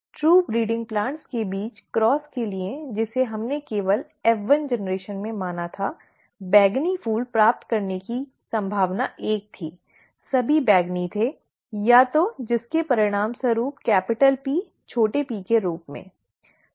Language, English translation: Hindi, For the cross between true breeding plants that we just considered in the F1generation, the probability of getting purple flowers was one; all were purple, either resulting from, rather as a rising from capital P small p, okay